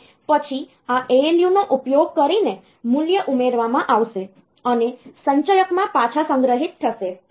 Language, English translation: Gujarati, And then the value will be added using this ALU, and stored back into the accumulator